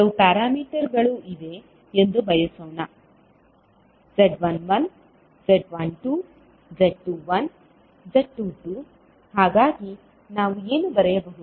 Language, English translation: Kannada, Suppose, there are some parameters called Z11, Z12, Z21 and Z22, so what we can write